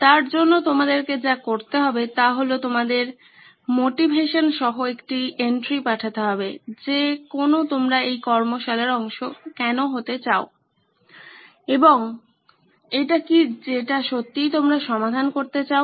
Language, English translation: Bengali, All you need to do is send in an entry with your motivation on why you want to be part of this workshop and what is it that really want to be solving it